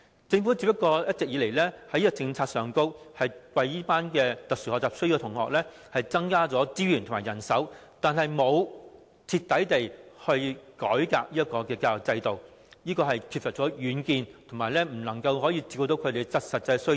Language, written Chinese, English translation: Cantonese, 一直以來，政府只是在現有政策下為這群有特殊學習需要的學童增加資源和人手，但卻沒有徹底改革教育制度，缺乏遠見，亦未能照顧他們的實際需要。, All along the Government only provides additional resources and manpower for this group of SEN children according to the existing policy but it has failed to reform the education system in a radical manner . It lacks far - sightedness nor are the actual needs of these children addressed